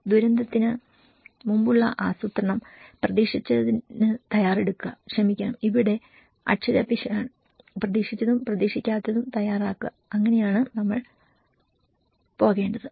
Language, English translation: Malayalam, Then pre disaster planning, prepare for the expected and sorry this is spelling mistake here, prepare for the expected and also the unexpected, so that is kind of preparation we need to go